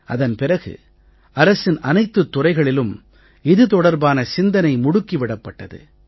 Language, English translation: Tamil, After that all government departments started discussing it